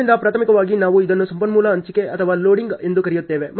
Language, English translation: Kannada, So, primarily we call it as a resource allocation or loading